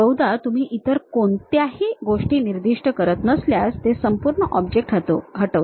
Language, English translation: Marathi, Usually if you are not specifying any other things, it deletes entire object